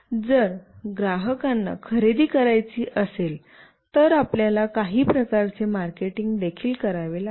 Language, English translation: Marathi, If the customer wants to buy, then you have to also do some kind of marketing